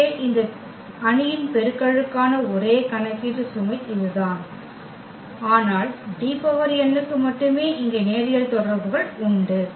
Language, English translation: Tamil, So, that is the only computation load here for this matrix multiplication, but for D power n only that linear relations here